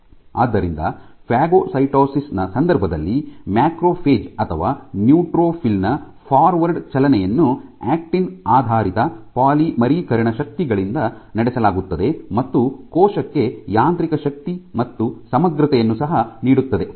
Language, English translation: Kannada, So, in the case of phagocytosis the forward motion which is driven by forward motion of the macrophage or the neutrophil is driven by actin based polymerization forces which pushes that in the membrane, it also provides mechanical strength and integrity to the cell